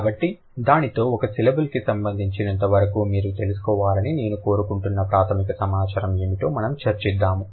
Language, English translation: Telugu, So, with that, we'll just find out what are the basic information that I would like you to know as far as a syllable is concerned